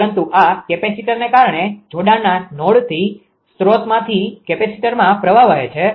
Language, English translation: Gujarati, But because of this capacitor know this capacitor from the connecting node to the source the current flows